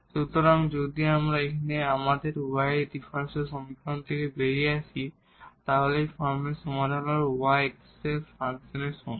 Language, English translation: Bengali, So, if we get out of our differential equation are the solution in this form that y is equal to function of x